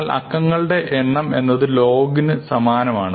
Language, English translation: Malayalam, And the number of digits is actually the same as the log